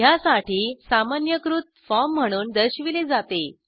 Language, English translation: Marathi, Generalized form for this is as shown